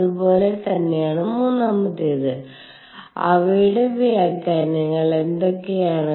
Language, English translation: Malayalam, And so, does the third one and what are their interpretations